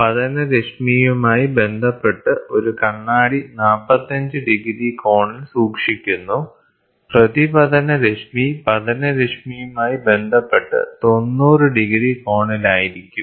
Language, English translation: Malayalam, So, a mirror is kept at an angle of 45 degrees with respect to the incident ray of light so, that the reflected ray will be at an angle of 90 degrees with respect to the incident ray